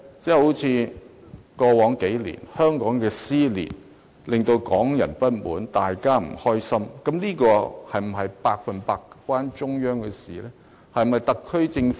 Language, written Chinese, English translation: Cantonese, 正如在過去數年，香港的撕裂令港人不滿，大家都不高興，但這情況是否百分百與中央政府有關？, A case in point is the social dissensions over the past few years which have caused great dissatisfaction among Hong Kong people . But should the blame fall solely on the Central Government?